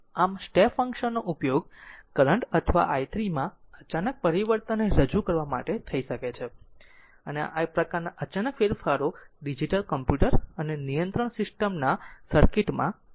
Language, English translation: Gujarati, So, step function can be used to represent an output abrupt sorry abrupt change in current or voltage and this kind of abrupt changes occur in the circuit of digital computers and control systems right